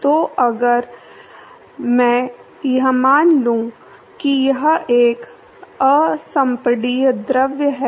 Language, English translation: Hindi, So, now, if I assume that it is an incompressible fluid